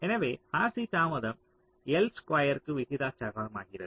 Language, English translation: Tamil, so r, c delay becomes proportional to l square